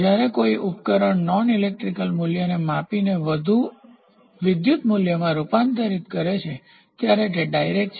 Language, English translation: Gujarati, So, a measuring device the transform non electrical value into electrical signal is direct